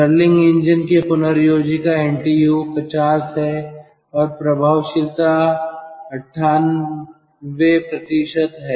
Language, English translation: Hindi, regenerator for stirling engine: then ntu is fifty and effectiveness is ninety eight percent